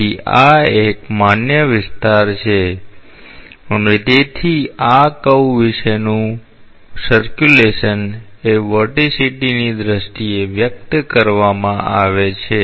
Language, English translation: Gujarati, So, this is a valid area and therefore, the circulation about this curve is expressed in terms of the vorticity